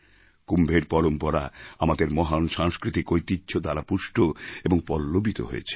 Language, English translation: Bengali, The tradition of Kumbh has bloomed and flourished as part of our great cultural heritage